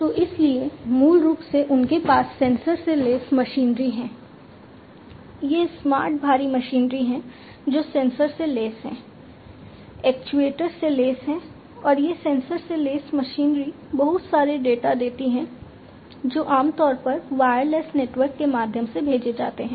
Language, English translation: Hindi, So, so, basically what they have is sensor equipped machinery, these smart you know heavy machinery that they have they, they are sensor equipped actuator equipped and so on these sensor equip machinery throw in lot of data which are sent through a network typically wireless network